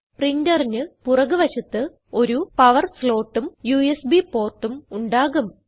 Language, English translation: Malayalam, And there is a power slot and a USB port at the back of the printer